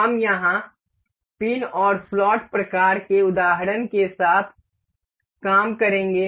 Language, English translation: Hindi, We will work here with pin and slot kind of example